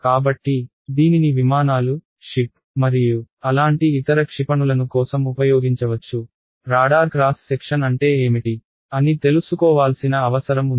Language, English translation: Telugu, So, this can be used for aircraft, ships any other such play missiles where it is needed to know: what is the radar cross section